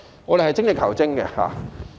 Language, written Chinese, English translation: Cantonese, 我們應該精益求精。, We should continuously strive for improvement